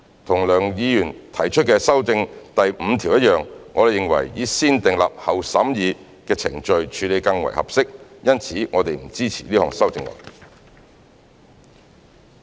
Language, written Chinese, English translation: Cantonese, 跟梁議員提出修訂第5條一樣，我們認為以"先訂立後審議"的程序處理更為合適，因此我們不支持這項修正案。, As in the case of Mr LEUNGs amendment to clause 5 we consider the negative vetting procedure more appropriate . Hence we do not support this amendment